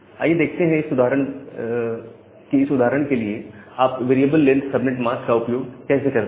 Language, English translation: Hindi, So, let us see an example of variable length subnet mask